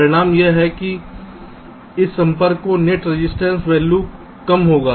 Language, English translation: Hindi, the result is that the net resistance value of this contact will be less